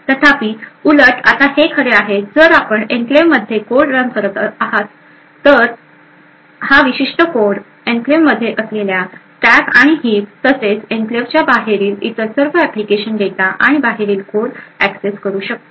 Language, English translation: Marathi, However, the vice versa is true now if you are running code within the enclave this particular code will be able to access the stack and heap present in the enclave as well as all the other application data and code present outside the enclave as well